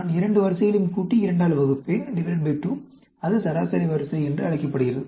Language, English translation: Tamil, I will add 2 ranks, divide by 2; that is called the average rank